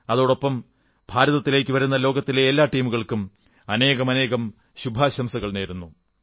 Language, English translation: Malayalam, I also convey my wishes to all the teams from around the world coming to participate in the tournament